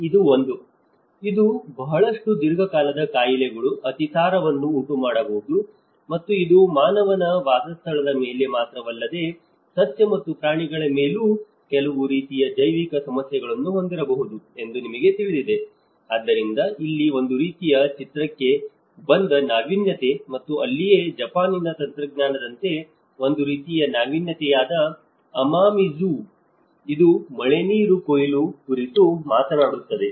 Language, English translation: Kannada, One is; it can create a lot of chronic diseases, diarrhoea and you know it can have some kind of biological issues not only on the human habitation but also it can have on the flora and the fauna as well, so that is where there is a kind of innovation which came into the picture, and that is where Amamizu which is a kind of innovation as a Japanese technology, it is talks about rainwater harvesting